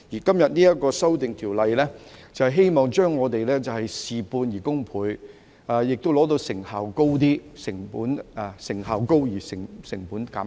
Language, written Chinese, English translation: Cantonese, 今天這項修訂條例草案，是希望我們事半功倍，亦做到成效高而成本減低。, With todays amendment bill it is hoped that we can get twice the result with half the effort and achieve high efficiency with reduction in cost